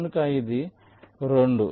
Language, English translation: Telugu, this is two